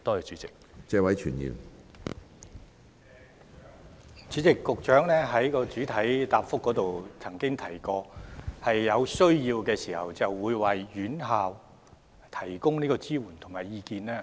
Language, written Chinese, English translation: Cantonese, 主席，局長在主體答覆中表示，會在有需要時為院校提供支援及意見。, President the Secretary stated in the main reply that support and advice would be offered to institutions as and when necessary